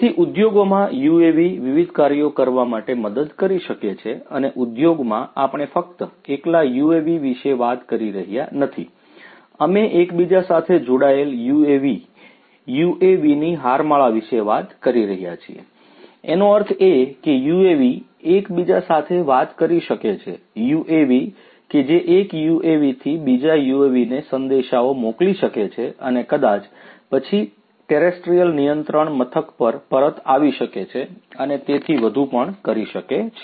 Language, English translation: Gujarati, So, UAVs in the industry can help in doing number of different things and in the industry we are not just talking about single UAVs, we are talking about connected UAVs, swarms of UAVs; that means, UAVs which can talk to one another, UAVs which can send messages from one UAV to another UAV and maybe then back to the terrestrial control station and so on